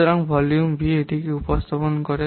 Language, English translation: Bengali, Therefore, the volume V, it represents what